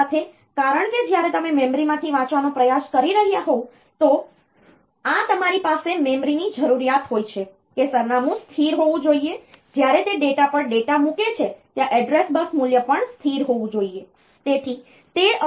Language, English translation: Gujarati, So, this you have the memory needs that the address be stable, when it is putting the data on to the data where the address bus value should also be stable